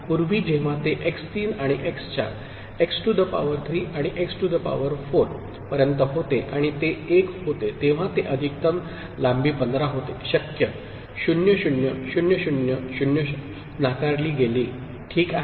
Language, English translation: Marathi, Earlier, when it was taken from x 3 and x 4, x to the power 3 and x to the power 4 and it was 1, it was maximal length that was 15 possible 0 0 0 0 0 was ruled out, ok